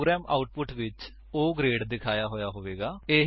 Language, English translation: Punjabi, The program will display the output as O grade